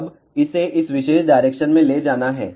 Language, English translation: Hindi, Now, this has to be taken along this particular direction